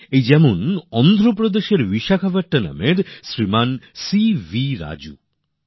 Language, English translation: Bengali, C V Raju in Vishakhapatnam of Andhra Pradesh